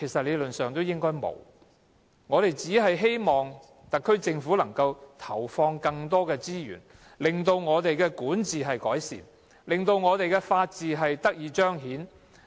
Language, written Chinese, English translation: Cantonese, 理論上應該沒有，我們希望特區政府能夠投放更多資源，令我們的管治得以改善，法治得以彰顯。, In theory no . We hope the Special Administrative Region Government can put in more resources to improve our governance and to manifest the rule of law